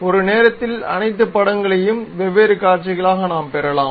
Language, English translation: Tamil, So, all the pictures at a time we can get as different views